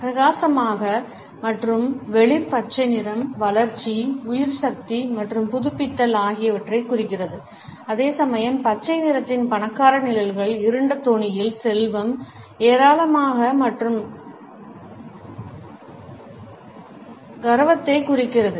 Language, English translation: Tamil, The bright yet light green color indicates growth, vitality and renewal whereas, the richer shades of green which are darker in tone represent wealth, abundance and prestige